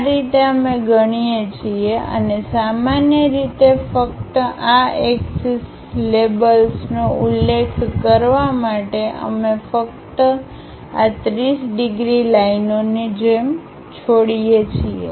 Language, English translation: Gujarati, This is the way we keep and typically just to mention this axis labels, we are just leaving this 30 degrees lines as it is